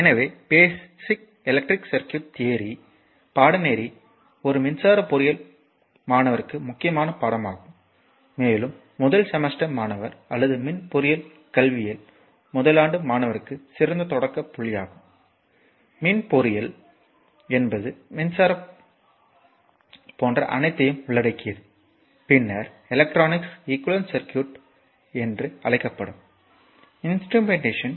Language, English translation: Tamil, So, therefore, the basic electric circuit theory course is your important course for an electrical engineering student and of course, and excellent starting point for a first semester student or first year student in electrical engineering education, electrical engineering means it covers all the things like electrical, then your electronics ecu call then your instrumentation